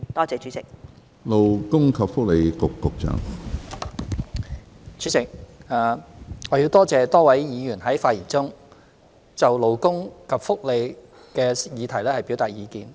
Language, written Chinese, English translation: Cantonese, 主席，多謝多位議員在發言中就勞工及福利的議題表達意見。, President I would like to thank the many Members who have spoken on questions concerning labour and welfare and expressed their views